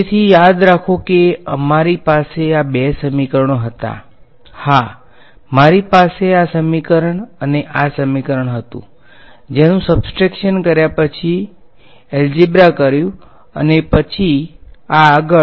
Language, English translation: Gujarati, So, remember we had these two equations; yeah I had this equation and this equation, which at subtracted done some algebra and so on